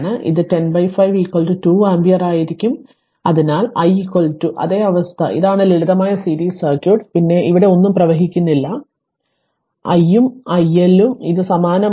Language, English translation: Malayalam, So, it will be 10 by 5 so 2 ampere, so i is equal to and same condition this is the simple series circuit then nothing is flowing here so i and i L this it is same right